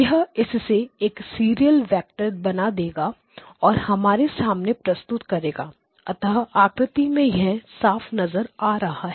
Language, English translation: Hindi, This will basically make it into a serial vector and presented to us